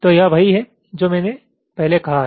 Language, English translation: Hindi, so this is what i have said earlier